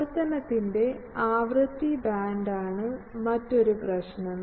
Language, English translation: Malayalam, Another problem is the frequency band of operation